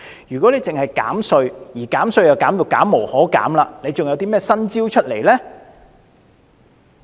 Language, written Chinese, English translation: Cantonese, 如果只是減稅，而減稅已經減無可減，還有甚麼新招式呢？, If under this tax concessionary measure the amount of tax rebate cannot be increased anymore will there be other new measures?